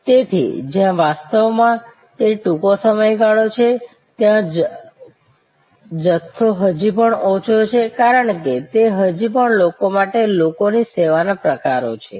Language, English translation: Gujarati, So, where actually it is a short duration, volume is still low, because it is still lot of people to people type of service